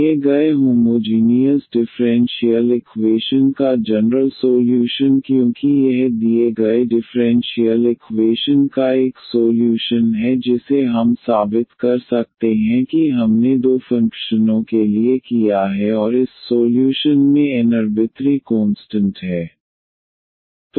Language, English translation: Hindi, The general solution of the given homogeneous differential equation because this is a solution of the given differential equation that we can prove like we have done for two functions and this solution has n arbitrary constants